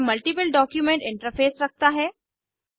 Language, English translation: Hindi, It has a multiple document interface